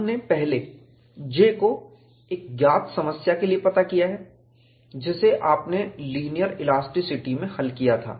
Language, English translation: Hindi, We have first evaluated J for a known problem, which you had solved in the linear elasticity